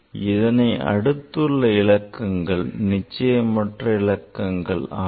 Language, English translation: Tamil, And after that the next digit is, you are not sure